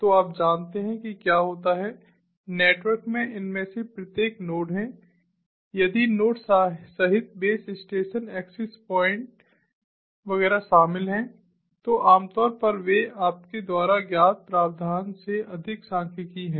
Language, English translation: Hindi, so you know what happens is each of these nodes in the networks if the nodes, including the base stations, access points, etcetera typically they are stati cally, over provisioned, you know